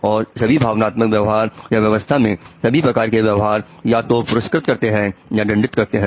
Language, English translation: Hindi, All emotional behavior, all behavior actually occurs in response to rewards or punishment